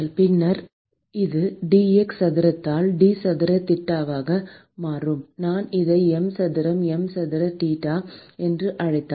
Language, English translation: Tamil, And then this will become d square theta by d x square equal to if I call this m square m square theta